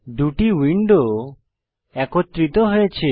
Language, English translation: Bengali, The two windows are merged